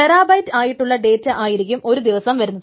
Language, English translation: Malayalam, So suppose terabytes of data are coming in a day